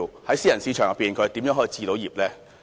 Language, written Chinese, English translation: Cantonese, 在私人市場當中，他們如何能夠置業呢？, In a private market how can they purchase property?